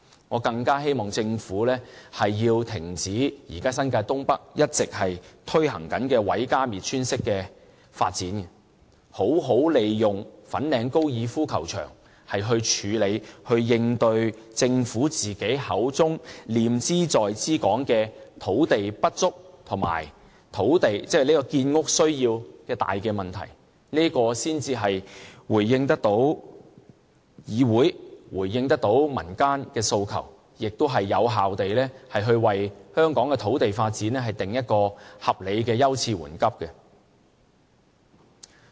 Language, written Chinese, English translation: Cantonese, 我更希望政府停止現時在新界東北一直推行的毀家滅村式發展，好好利用粉嶺高爾夫球場來處理和應對政府口中念茲在茲的土地不足和建屋需要的大問題，這樣才回應到議會和民間的訴求，亦有效為香港的土地發展制訂合理的優次緩急。, I really hope that the Government can stop its existing destructive way of developing North East New Territories where many homes and villages have been destroyed . Instead it should make good use of the Fanling Golf Course to deal with and redress the major problems of land shortage and housing needs that it repeatedly emphasized . Only in this way can it respond to the aspirations of the Council and the community and effectively set reasonable priorities to land development in Hong Kong